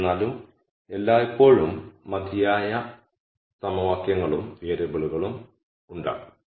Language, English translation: Malayalam, However, there will always be enough equations and variables